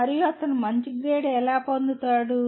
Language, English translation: Telugu, And how does he get a good grade